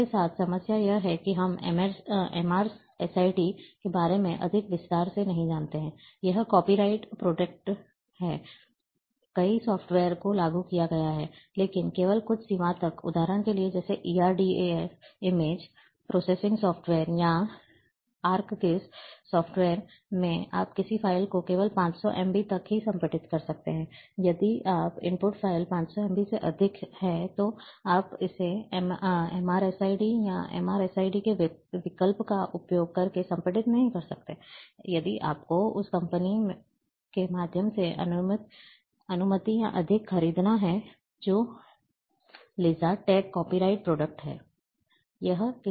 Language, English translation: Hindi, The problem with this that, we don’t know much detail about MrSID this is copy right protected, many softwares had been implemented, but up to only certain limit, for example, like in erdas image processing software, or in ArcGIS software, you can compress a file of only up to 500 MB, if your input file is more than 500 MB, then you cannot compress using this MrSID, or option of MrSID, you have to buy then, the permission or excess through the company which is LizardTech